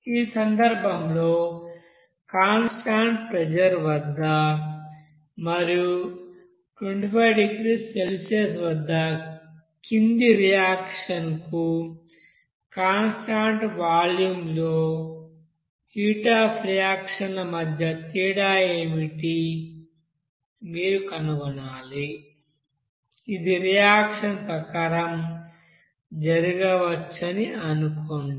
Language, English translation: Telugu, Here in this case, you have to find out what should be the you know the difference between the heat of reaction at constant pressure and constant volume for the following reaction at 25 degree Celsius assuming that it could take place here as per reactions here